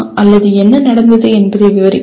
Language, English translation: Tamil, Or describe what happened at …